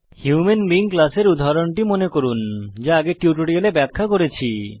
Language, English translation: Bengali, Recall the example of human being class we had discussed in the earlier tutorial